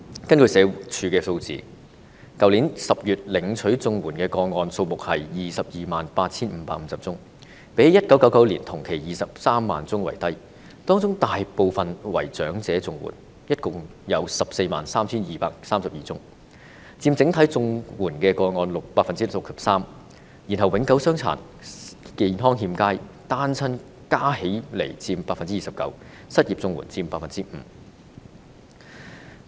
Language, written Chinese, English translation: Cantonese, 根據社會福利署的數字，在去年10月，領取綜援的個案數目是 228,550 宗，較1999年同期的23萬宗為低，當中大部分為長者綜援，合共有 143,232 宗，佔整體綜援個案 63%， 然後永久傷殘、健康欠佳及單親加起來的個案佔 29%， 失業綜援個案則佔 5%。, According to the statistics of the Social Welfare Department in October last year the number of CSSA cases was 228 550 which was lower than the 230 000 cases during the corresponding period in 1999 . The majority of these cases was made up by old age cases totalling 143 232 in number and accounting for 63 % of the total number of CSSA cases . And cases of permanent disability ill health and single parentadded up to a share of 29 % whereas unemployment cases accounted for 5 %